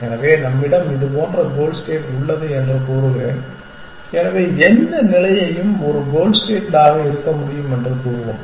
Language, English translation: Tamil, So, let me say that we have some goal state which looks like this and so let us say any state can be a goal state